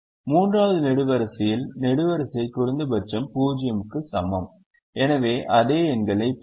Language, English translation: Tamil, we look at the second column: the column minimum is zero and we will get the same numbers